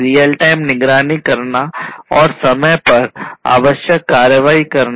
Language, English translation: Hindi, Real time monitoring and taking required action on time